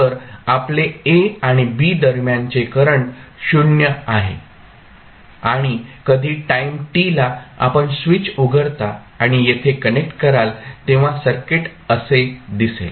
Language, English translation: Marathi, So, your current between a and b is 0 and when you at time t is equal to you open the switch and connect from here to here the circuit will become like this